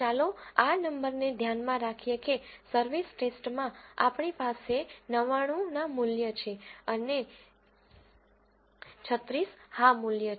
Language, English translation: Gujarati, Let us keep this number in mind we have 99 no values and 36 yes values in the service test